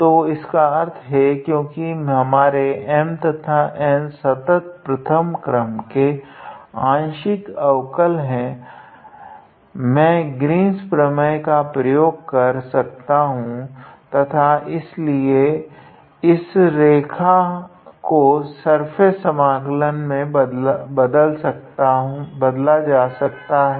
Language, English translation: Hindi, So, that means, since our M and N have a continuous first order partial derivatives I can use Green’s theorem and therefore, this line integral can be converted into a surface integral, alright